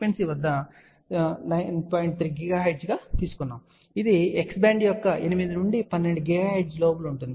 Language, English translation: Telugu, 3 gigahertz which is within the x band of 8 to 12 gigahertz